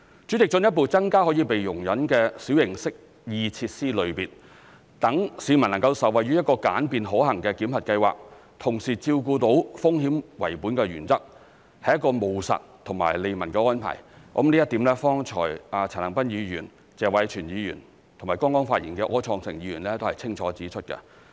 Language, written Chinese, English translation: Cantonese, 主席，進一步增加可被容忍的小型適意設施類別，讓市民能受惠於一個簡便可行的檢核計劃，同時照顧到"風險為本"的原則，是一個務實及利民的安排，這一點剛才陳恒鑌議員、謝偉銓議員和剛剛發言的柯創盛議員都清楚指出。, President a further increase in the number of types of minor amenity features which could be tolerated enables the public to benefit from a simple and feasible validation scheme while at the same time takes into account the risk - based principle . It is a pragmatic and people - friendly arrangement . This point has been clearly indicated by Mr CHAN Han - pan Mr Tony TSE and Mr Wilson OR who made his speech just now